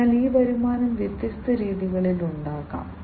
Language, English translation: Malayalam, So, these revenues could be generated in different ways